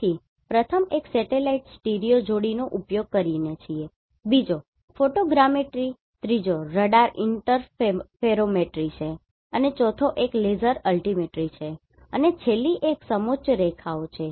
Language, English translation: Gujarati, So, first one is by using satellite stereo pair, second one is photogrammetry third one is radar interferometry and fourth one is laser altimetry and the last one is contour lines